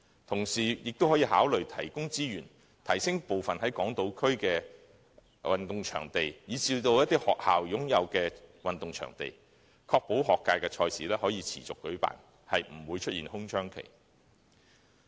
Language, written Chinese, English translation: Cantonese, 同時，政府亦可以考慮提供資源，提升港島區部分運動場地，以至一些學校擁有的運動場地，確保學界賽事可持續舉辦，不會出現空窗期。, Meanwhile the Government can also consider providing resources to upgrade some of the sports venues on Hong Kong Island and even those held by some schools to ensure that there will be no window period and competitions can continue to be held